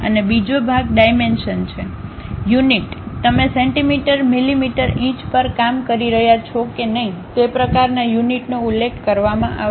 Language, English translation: Gujarati, And the second part is the dimension, the units whether you are working on centimeters, millimeters, inches that kind of units will be mentioned there